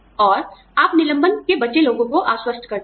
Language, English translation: Hindi, And, you reassure survivors, of the layoff